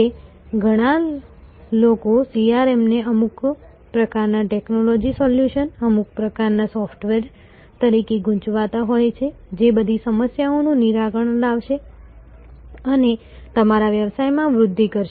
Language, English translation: Gujarati, That many people confuse CRM as some sort of technology solution, some sort of software which will solve all problems and grow your business